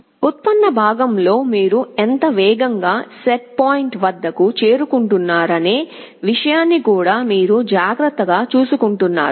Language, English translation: Telugu, In the derivative part you are also taking care of the fact that how fast you are approaching the set point that also you are taking care of